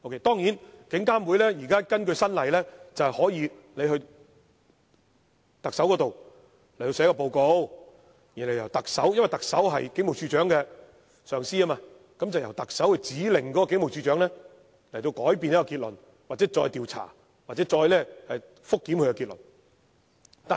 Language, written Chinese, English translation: Cantonese, 當然，根據最新的法例，監警會可向特首提交報告，因為特首是警務處處長的上司，由特首指令警務處處長改變結論、再作調查或覆檢結論。, Certainly according to the latest legislation IPCC may submit a report to the Chief Executive the supervisor of the Commissioner of Police who may order the Commissioner of Police to revise the conclusion conduct an investigation afresh or review the conclusion